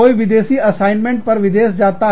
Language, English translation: Hindi, Somebody goes abroad, on a foreign assignment